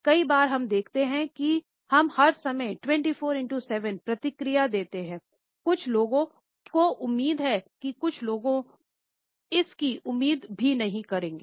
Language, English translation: Hindi, Often times what we see is, that we can respond 24 7 all the time, some people expect that some people would never expect that